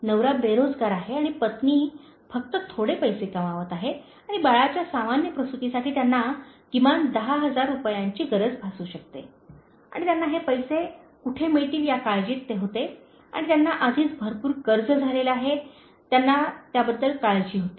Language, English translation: Marathi, So, the husband is jobless, and wife is just earning little money and they will need at least this ten thousand rupees even for a normal delivery of the baby and they were so worried as where they can get this money and they had already got enough loan and they were so concerned about that